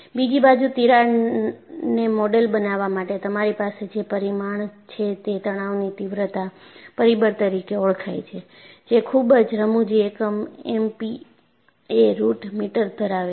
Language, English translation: Gujarati, On the other hand, to model a crack, you have a parameter called stress intensity factor, which has a very funny unit MP a root meter